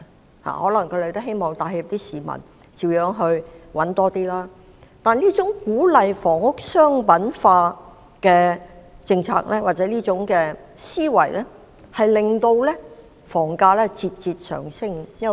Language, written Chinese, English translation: Cantonese, 他們可能也想給市民帶來好處，讓市民多賺點錢，但這種鼓勵房屋商品化的政策或思維，卻令房價節節上升。, They may wish to benefit the public and provide opportunities for people to earn more money . But this policy or idea of encouraging the commercialization of housing has only caused an incessant rise in housing prices